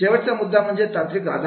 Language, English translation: Marathi, Last is the technological support